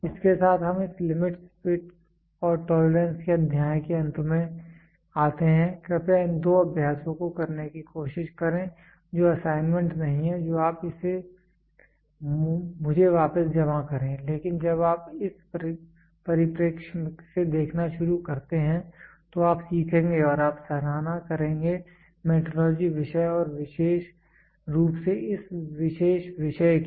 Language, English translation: Hindi, With this we come to the end of this limits, fits and tolerance chapter and please try to do these two exercise these two exercise are not assignments you submit it back to me, but when you start looking from this perspective, you will learn and you will appreciate the metrology subject and this particular topic in particular